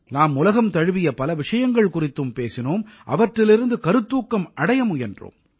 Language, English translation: Tamil, We also spoke on many global matters; we've tried to derive inspiration from them